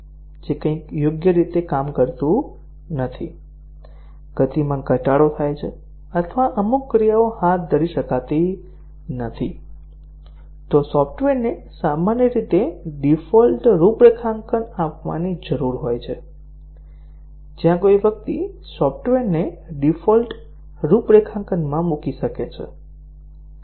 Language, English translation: Gujarati, If something does not work properly, the speed degrades or certain actions cannot be carried out, then the software typically need to provide default configurations, where somebody can put the software into default configuration